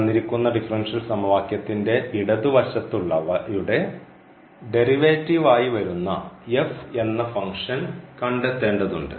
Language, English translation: Malayalam, We need to find the function f whose differential is here this left hand side of the given differential equation